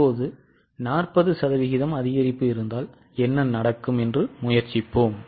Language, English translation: Tamil, Now let us try what will happen if there is an increase of 40%